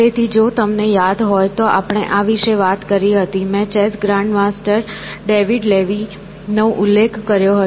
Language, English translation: Gujarati, So, if you remember, we had talked about, I had mentioned about this chess grandmaster David Levy